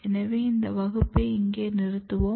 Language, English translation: Tamil, So, we will stop this class here